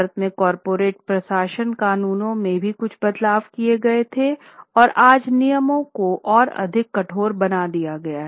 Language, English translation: Hindi, Including some changes were also made in India and corporate governance laws and rules today have been made much more stricter